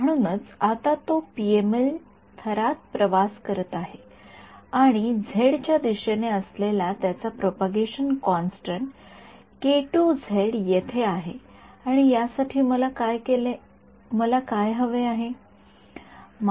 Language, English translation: Marathi, So, it has now its travelling in the in the in the PML layer it is travelling and its propagation constant along the z direction has this k k 2 z over here and a what do I want for this